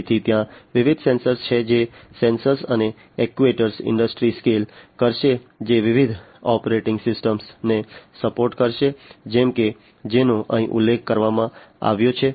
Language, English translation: Gujarati, So, there are different sensors which would sensors and actuators industry scale which would support different operating systems, such as the ones that are mentioned over here